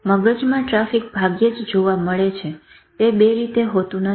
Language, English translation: Gujarati, It is very rare to find brain traffic that is not 2 way